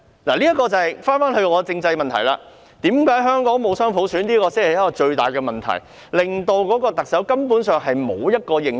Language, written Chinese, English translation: Cantonese, 箇中原因便要回到政制問題上，香港仍未實行雙普選才是最大的問題，令特首根本沒有認受性。, This is attributed to the constitutional problem . The largest issue is the failure to implement dual universal suffrage hitherto in Hong Kong leading to the lack of mandate of the people on the part of the Chief Executive